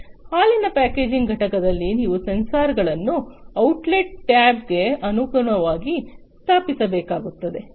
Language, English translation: Kannada, So, in a milk packaging unit you need to install the sensors in line with the outlet tab